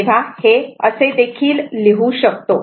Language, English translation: Marathi, So, same way it can be written